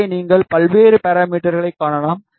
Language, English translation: Tamil, Here you can see various parameters ok